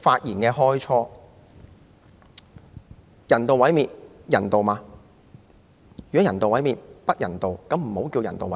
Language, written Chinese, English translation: Cantonese, 如果人道毀滅是不人道的，便不應稱為人道毀滅。, If euthanasia is not humane it should not be called euthanasia